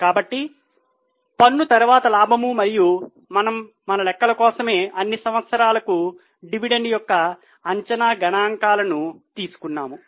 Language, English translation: Telugu, So, profit after tax and we have taken estimated figures of dividend for all the years just for our calculation sake